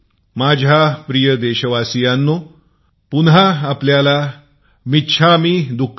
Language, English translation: Marathi, My dear countrymen, once again, I wish you "michchamidukkadm